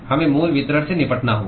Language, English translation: Hindi, We have to deal with the original distribution